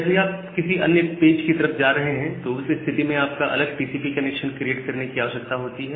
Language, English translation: Hindi, Whenever you are moving to a different page, you need to create a different TCP connection